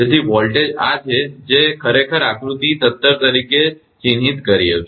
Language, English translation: Gujarati, So, volt this is actually I have marked as a figure 17